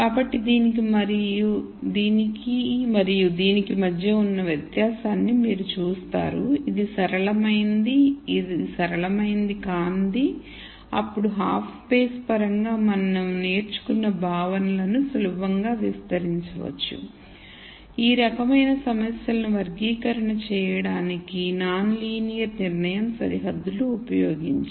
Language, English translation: Telugu, So, you see the difference between this and this, this is non linear, this is linear, then we could easily extend the concepts that we have learnt in terms of the half spaces and so on to do classi cation for these types of problem using non linear decision boundaries